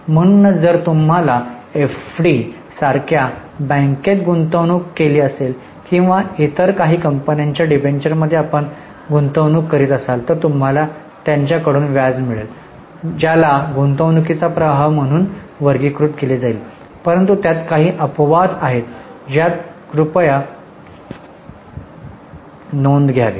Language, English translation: Marathi, So, if you have made investment in bank like FD or if you have made investment in debenture of some other company, you will receive interest from them that will be categorized as investing flow